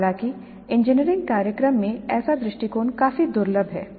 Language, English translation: Hindi, However such an approach is quite rare in engineering programs